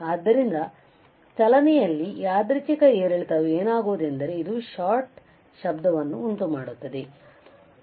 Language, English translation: Kannada, So, what happens that when there random fluctuation in the motion, this will cause the shot noise